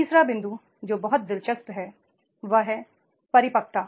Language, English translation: Hindi, The third point which is very very interesting that is the maturity